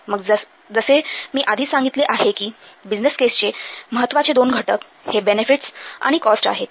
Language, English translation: Marathi, Then as I have already told you the two important components, the two important contents of business case are benefits and costs